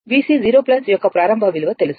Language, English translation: Telugu, So, initial value of V C 0 known